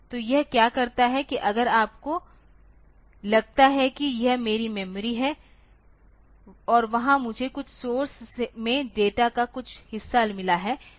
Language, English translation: Hindi, So, what it does is that if you have got suppose if this is my memory and there I have got some chunk of data in some source